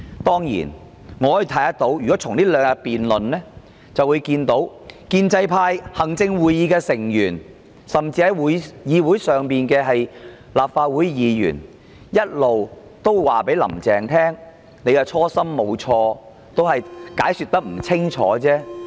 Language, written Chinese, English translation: Cantonese, 在這兩天的辯論中，建制派、行政會議成員甚至立法會議員一直說，"林鄭"的初心沒有錯，只是解說不清楚。, In the debate of the past two days the pro - establishment camp Members of the Executive Council and even Members of the Legislative Council kept saying that Carrie LAMs original intent was alright just that the explanation was unclear